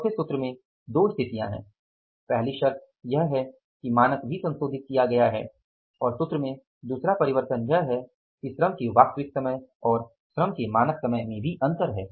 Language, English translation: Hindi, First condition is that standard is also revised and second this change in the formula is that there is a difference in the actual time of labor and the standard time of the labor